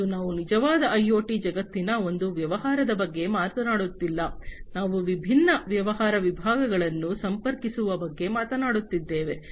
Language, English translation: Kannada, And we are talking about not one business in a true IoT world, we are talking about connecting different business segments